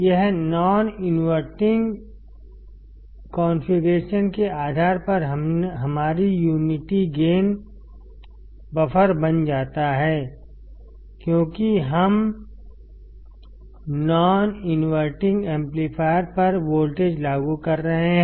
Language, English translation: Hindi, This becomes our unity gain buffer based on non inverting configuration because we are applying voltage to the non inverting amplifier